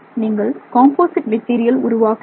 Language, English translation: Tamil, I'm sorry, you're creating a composite material